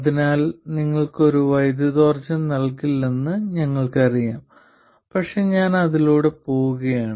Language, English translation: Malayalam, So this we know it cannot give you any power gain but I am just going to go through it